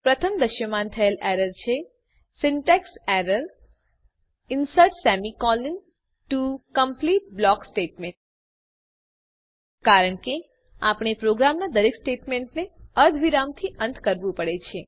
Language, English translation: Gujarati, The first error displayed is syntax error insert semi colon to complete block statements This is because we have to end every statement of a program with a semicolon